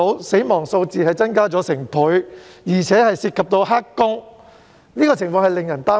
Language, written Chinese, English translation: Cantonese, 死亡數字已增加了1倍，而且不包括"黑工"，這情況實在令人擔憂。, The situation is indeed worrying because the number has already doubled even though the statistics involving illegal workers are not included